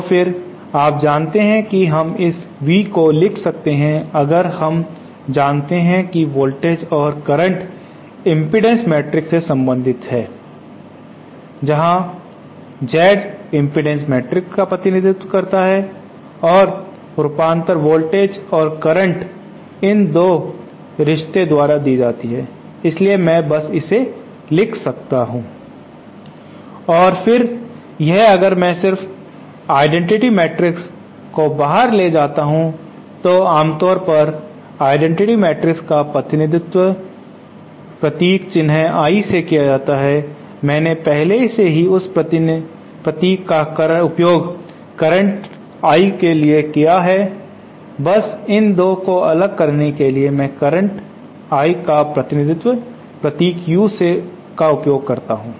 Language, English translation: Hindi, So then with you know we can write this V so if we know that voltage and current are related to the impedance matrix where the Z represents the impedance matrix and the voltages and currents are given by these 2 relationships so I can simply write this asÉ And then this if I just take the identity matrix outside, usually the identity matrix is represented by the symbol capital I but since I have already used that symbol for current I cannot, just to separate between the 2 this I representing the current I use the symbol U